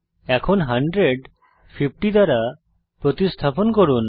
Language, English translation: Bengali, Lets now replace 100 by 50